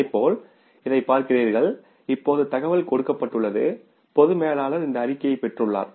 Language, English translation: Tamil, And similarly if you look at this now information given, the general manager has just received this report, condensed report